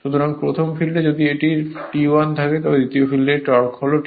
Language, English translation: Bengali, So, first case if it is T 1 second case torque is T 2